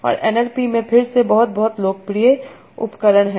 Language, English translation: Hindi, And they are again very, very popular tools in NLP